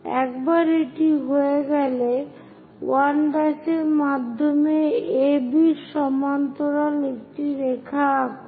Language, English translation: Bengali, Once that is done, through 1 dash draw a line parallel to AB